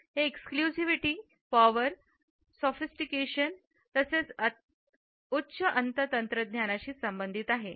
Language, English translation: Marathi, It is associated with exclusivity, power, sophistication as well as high end technology